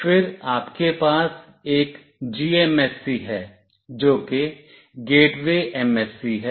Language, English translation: Hindi, Then you have one GMSC, which is Gateway MSC